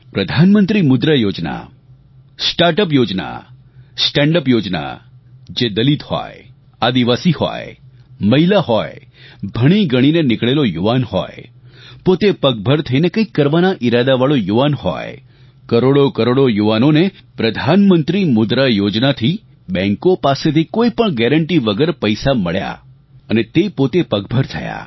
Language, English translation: Gujarati, Pradhan Mantri Mudra Yojna, Start Up Yojna, Stand Up Yojna for Dalits, Adivasis, women, educated youth, youth who want to stand on their own feet for millions and millions through Pradhan Mantri Mudra Yojna, they have been able to get loans from banks without any guarantee